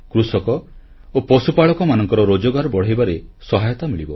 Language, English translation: Odia, Farmers and cattle herders will be helped in augmenting their income